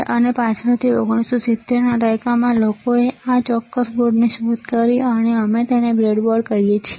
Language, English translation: Gujarati, And later in 1970's people have invented this particular board, and we call this a breadboard